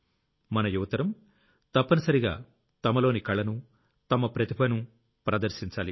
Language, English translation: Telugu, Our young friends must showcase their art, their talent in this